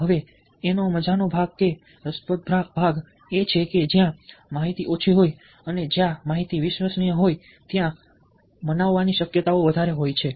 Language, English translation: Gujarati, now, the fun part of it, the interesting part of it, is that where information is less and where information is credible, there is a greater chance of being persuaded by it